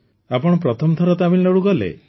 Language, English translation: Odia, Was it your first visit to Tamil Nadu